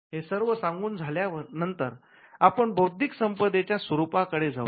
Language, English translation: Marathi, Now, having said that now we can venture to look at the nature of intellectual property, right